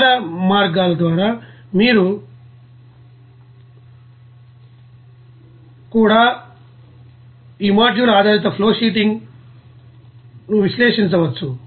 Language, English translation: Telugu, Now other ways also you can analyze this module based flowsheeting